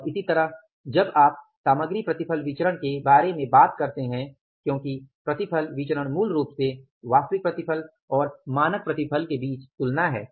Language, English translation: Hindi, And similarly when you talk about the material yield variance because yield variance is basically a comparison between the actual yield and the standard yield